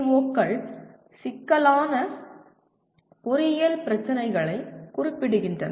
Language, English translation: Tamil, Some examples of complex engineering problems